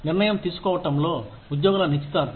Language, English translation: Telugu, Employee engagement in decision making